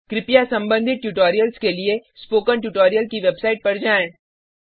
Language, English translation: Hindi, Please go through the relevant spoken tutorials on the spoken tutorial website